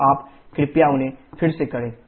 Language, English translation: Hindi, So you please do them again